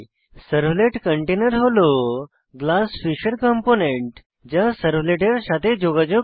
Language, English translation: Bengali, Servlet container is a component of Glassfish that interacts with servlets